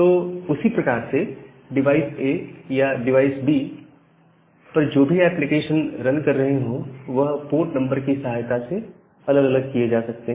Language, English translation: Hindi, Similarly, for the other application that way this application running at device A and application running a device B they can be segregated with the help of that port number